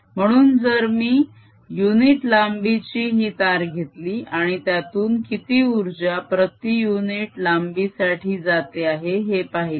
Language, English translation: Marathi, so if i take a unit length of this wire and see how much energy is flowing into that unit length is going to be so energy flowing in per unit length